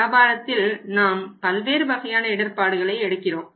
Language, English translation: Tamil, Business may take other kind of risks also